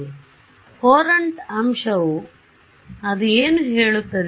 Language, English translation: Kannada, So, Courant factor what does it say